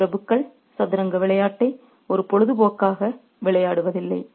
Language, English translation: Tamil, These aristocrats do not play the game of chess as a hobby, but that becomes the life for them